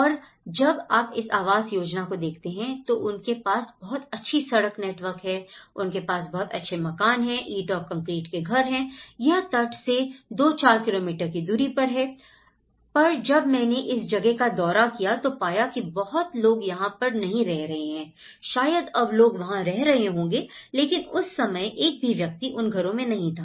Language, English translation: Hindi, And when you look at this housing, they have a very good road network, they have very good houses, brick and concrete houses, this is slightly far away like 2, 3 kilometres; 3, 4 kilometers from the shore but then at least when I visited this place not many people have occupied this places, maybe now people might have taken but at that point of time not even a single person have occupied these houses